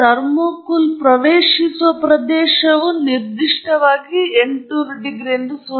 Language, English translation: Kannada, What it specifically implies is that the region that the thermocouple is accessing, that location is at 800 degrees C okay